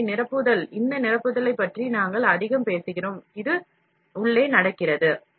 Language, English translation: Tamil, So, filling, we are talking more about this filling, which is happening inside